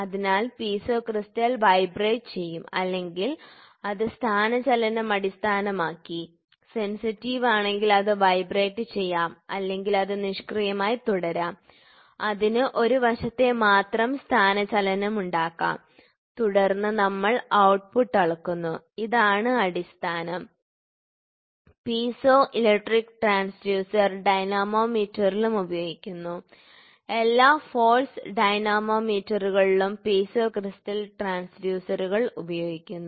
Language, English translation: Malayalam, So, Piezo crystal will be moved to vibrate or based upon the displacement it, it can vibrate if it is sensitive, it will vibrate or it can just go passively and stay it can go just one side displacement and say and then we measure the output and this is the base, ok; Piezo electric transducer is also used in dynamometers dynamometer all the force dynamometer uses use the Piezo crystal transducers